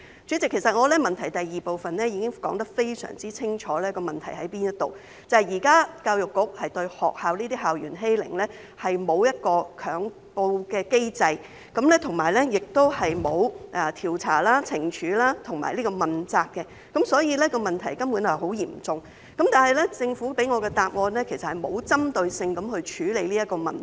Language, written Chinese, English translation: Cantonese, 主席，其實我在主體質詢第二部分已經非常清楚地指出問題所在，就是現時對校園欺凌，教育局並沒有一個強告機制，亦沒有調查、懲處及問責，所以問題根本是很嚴重的，但政府給我的答覆，實際上並無針對性地處理這個問題。, President in fact I have pointed out unequivocally in part 2 of the main question where the problem lies . At present EDB has not put in place any mechanism mandating the report of school bullying incidents nor conduct investigation impose penalty and accord accountability so the problem is actually very serious . Nonetheless the Governments reply to me has not dealt with the problem in a targeted manner